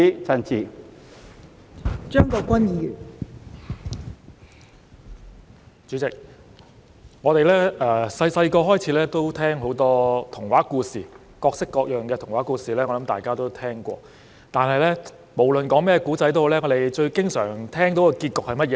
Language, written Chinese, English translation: Cantonese, 代理主席，我們小時候聽過很多童話故事，各式各樣的童話故事，我想大家都聽過；但是，無論甚麼故事，我們最經常聽到的結局是甚麼呢？, Deputy President we heard a lot of fairy tales when we were young and I think we have heard all kinds of fairy tales . However no matter what the story is what is the ending that we hear most often?